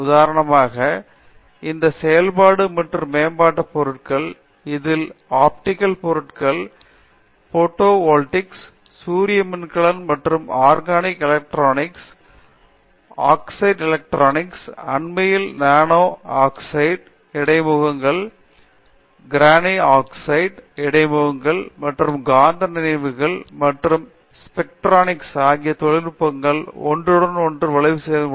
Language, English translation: Tamil, For example, this functional and advanced materials, comprising, optical materials, photovoltaics, solar cells and you have this organic electronics, oxide electronics, now the recent nano oxide interfaces, graphene oxide interfaces and you have magnetic memories and spintronics and I think these areas have strong over lab with industry